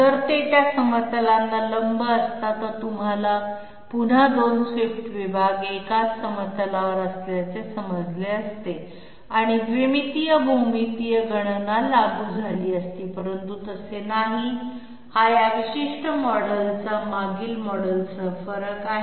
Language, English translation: Marathi, Had it been perpendicular to those planes, it would have you know again become the case of 2 swept sections being on the same plane and two dimensional geometrical calculations would have been applicable, but it is not so this is the difference of this particular model with the previous one